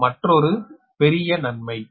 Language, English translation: Tamil, this is a major advantage, right